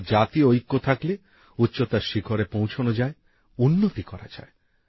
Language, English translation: Bengali, That is, with national unity, the nation has stature and has development